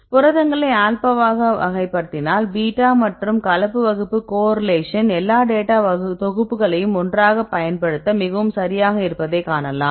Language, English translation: Tamil, So, if you classify the proteins into alpha, beta and mixed class then you could see that that the correlation enhance right very significantly right from the using all the datasets together